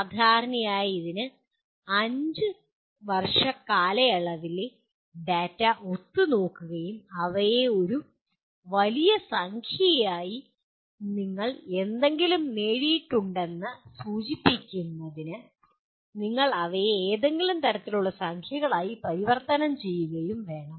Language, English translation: Malayalam, Generally it requires collating the data over a period of 5 years and converting them into a large number of what do you call the into some kind of numbers to indicate that to what extent something has been attained